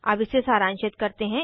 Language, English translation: Hindi, Now let us summarize